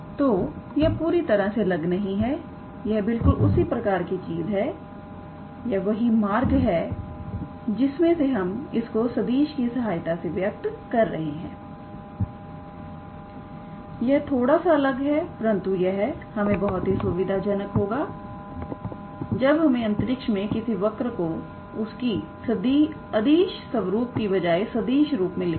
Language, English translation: Hindi, So, its not completely different its the same thing, is just that the way we are expressing it using the vectors is slightly different, but it is convenient its very convenient to write the equation of a curve in space in a vector form than writing it in a scalar form